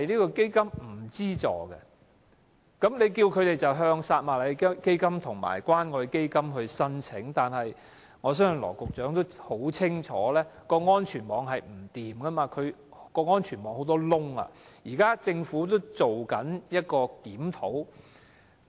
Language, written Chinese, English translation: Cantonese, 當局叫病友向撒瑪利亞基金及關愛基金申請資助，但羅局長想必很清楚這個安全網有欠妥善，漏洞很多，現時政府亦正在檢討。, The patients are asked to apply to the Samaritan Fund and the Community Care Fund for financial assistance . Nevertheless Secretary Dr LAW Chi - kwong should be well aware that this safety net is far from perfect and is rife with flaws . That is why the Government is now conducting a review